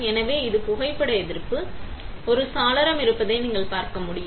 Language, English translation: Tamil, So, this is my photo resist, as you can see there is a window, right